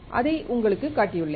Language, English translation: Tamil, I have shown it to you